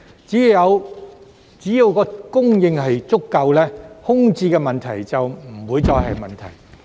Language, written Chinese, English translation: Cantonese, 只要供應足夠，空置問題便不再存在。, So long as there is an adequate supply the problem of vacancy shall no longer exist